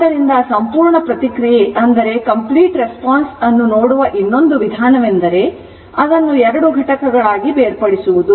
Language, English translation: Kannada, So, another way of looking at the complete response is to break into two components